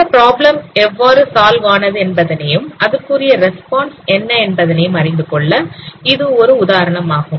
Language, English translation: Tamil, So this is one example how this problem has been solved what is the kind of response